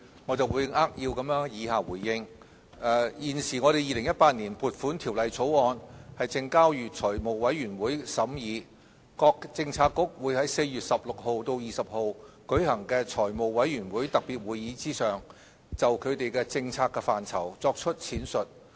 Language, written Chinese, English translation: Cantonese, 我會扼要地作以下的回應：現時《2018年撥款條例草案》正交予財務委員會審議，各政策局會於4月16日至20日舉行的財務委員會特別會議上，就其政策範疇作出闡述。, I shall respond briefly as follows The Appropriation Bill 2018 is now under the scrutiny of the Finance Committee . Various Policy Bureaux will elaborate their policy areas at the special meeting of the Finance Committee to be held from 16 to 20 April